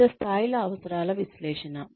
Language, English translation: Telugu, Various levels of needs analysis